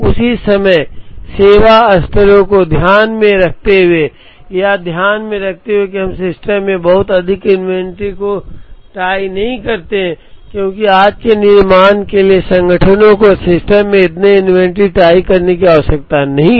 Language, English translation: Hindi, At the same time, keeping in mind service levels, keeping in mind that we do not tie up too much of inventory in the system, because today’s manufacturing does not require organizations to tie up so much of inventory in the system